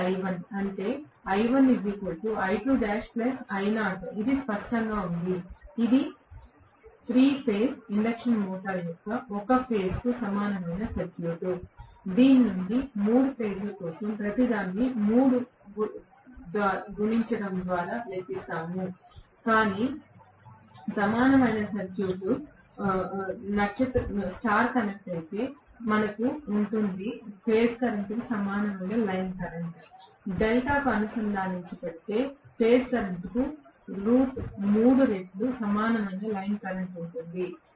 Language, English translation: Telugu, is this clear, this is the overall equivalent circuit, per phase equivalent circuit of the 3 phase induction motor from which we will calculate everything for 3 phases by multiplying by 3, but if star connected we will have the line current equal to the phase current, if it is delta connected will have line current equal to root 3 times the phase current